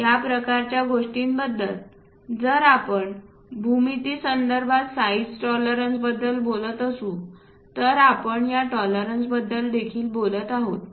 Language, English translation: Marathi, These kind of things if we are talking about those are about size tolerances regarding geometry also we talk about this tolerances